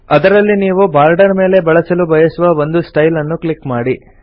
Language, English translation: Kannada, Click on one of the styles you want to apply on the borders